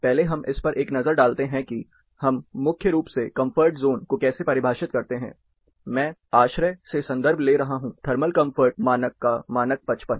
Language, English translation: Hindi, First let us take a look at how do we primarily define comfort zone; I am referring to ASHRAE, standard 55 thermal comfort standard